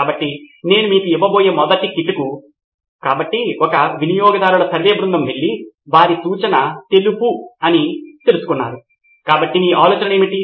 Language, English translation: Telugu, So the first clue that I am going to give you is, so let’s say a customer survey group went and found out that hey it is white, so what are your ideas for